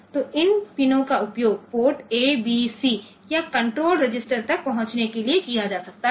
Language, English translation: Hindi, So, these pins can be used to access ports A, B, C or the control register